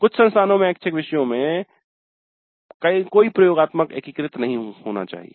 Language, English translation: Hindi, Then in some institutes the electives are not supposed to be having any integrated laboratories